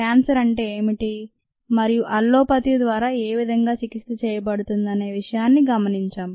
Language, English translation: Telugu, we looked at what cancer was and how ah cancer is treated allopathically